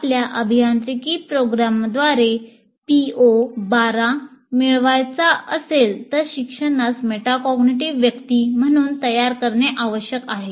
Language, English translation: Marathi, So if you want to attain PO 12 through your engineering program, it is necessary to prepare learners as metacognitive persons